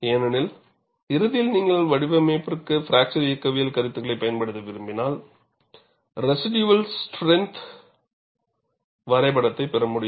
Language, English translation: Tamil, Because ultimately, when you want to use fracture mechanics concepts for design, I need to get residual strength diagram